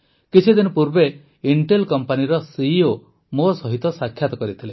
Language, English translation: Odia, Just a few days ago I met the CEO of Intel company